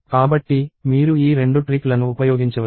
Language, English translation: Telugu, So, you can use these 2 tricks